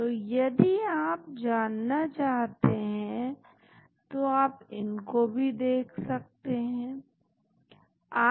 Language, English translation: Hindi, so, if you are interested you can look at them also